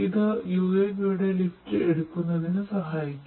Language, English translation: Malayalam, And, this basically will help this UAV to take the lift